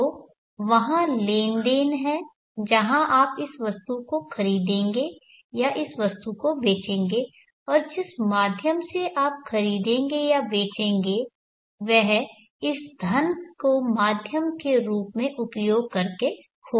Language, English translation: Hindi, Now this item is either sold, so there is the transaction where you will buy this item or sell this item and the medium through which you will buy or sell would be using this money as an item, money as the medium